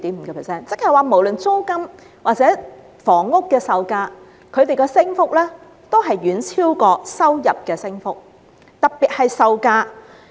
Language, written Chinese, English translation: Cantonese, 由此可見，無論是房屋的租金或售價，其升幅均遠超收入升幅，並以售價升幅尤甚。, From the above we can see that the increase in income is far lower than that in housing rents and property prices especially the latter